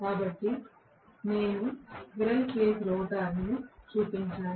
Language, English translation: Telugu, So, I have shown a squirrel cage rotor